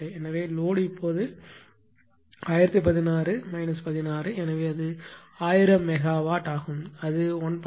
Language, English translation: Tamil, So, load is now 1016 minus 16; so, it is 1000 megawatt that is why and it is 1